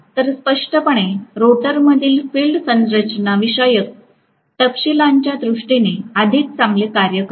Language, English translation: Marathi, So, obviously field in the rotor works better in terms of the constructional, you know, details